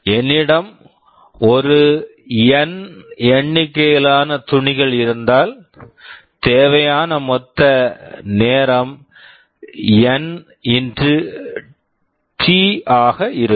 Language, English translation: Tamil, So, if I have a N number of clothes, then the total time required will be N x T